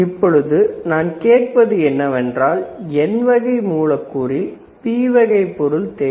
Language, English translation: Tamil, So, what I asked is we need P type material in N type substrate